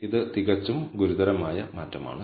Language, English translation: Malayalam, So, that is a quite drastic change